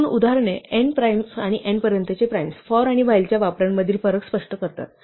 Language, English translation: Marathi, These two examples, the primes up to n and n primes illustrate the difference between the uses of for and while